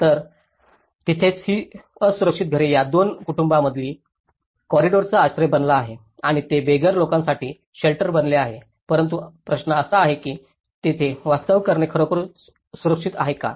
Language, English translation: Marathi, So, that is where this unsafe houses has become a shelter for the corridor between these two families has become a shelter for the homeless people, but the question is, is it really safe to live there